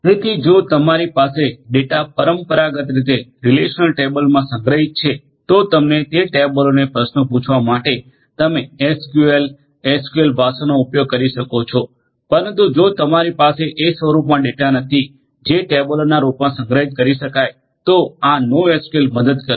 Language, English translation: Gujarati, So, if you have structured data stored in relational table traditionally so, there you can use your SQL, SQL language for querying those tables, but if you do not have the data in the form that can be stored in the form of tables then this NoSQL will help